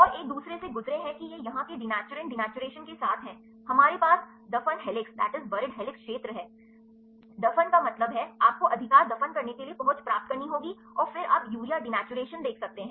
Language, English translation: Hindi, And go a second one this is with the denaturant denaturation here, we have the buried helix region, buried means, you have to get the accessibility buried right and, then you can see the urea denaturation